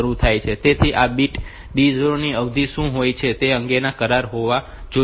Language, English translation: Gujarati, So, there must be an agreement about what is the duration of this bit D 0